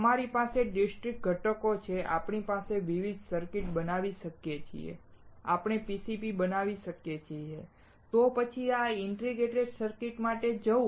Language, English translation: Gujarati, We have discrete components, we can make different circuits, we can make PCBs, right, then why to go for integrated circuit